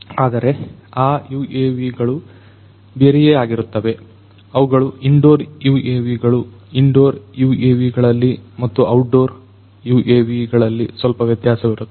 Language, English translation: Kannada, But, those UAVs are going to be different those are going to be the indoor UAVs; indoor UAVs and outdoor UAVs are little different